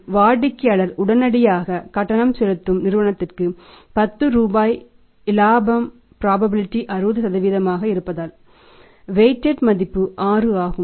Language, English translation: Tamil, So, if the customer makes the prompt payment firm is earning 10 rupees profit probability of that is 60% so weighted value is 6